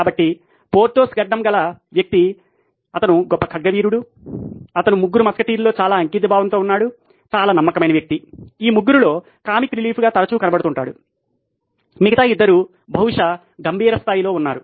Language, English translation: Telugu, So, Porthos your bearded guy he was a great swordsman, he was fiercely dedicated to the Three Musketeers, a very loyal guy, often seen as the comic relief among these 3, the other 2 were probably serious Although the Lego block actually shows him to be the most serious but actually he is the funniest guy